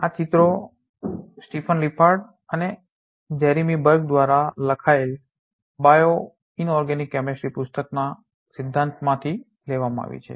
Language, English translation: Gujarati, These pictures are taken from that principles of bioinorganic chemistry book by Stephen Lippard and Jeremy Berg